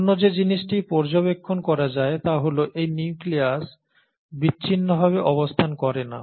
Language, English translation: Bengali, Then the other thing which is observed is that this nucleus does not exist in isolation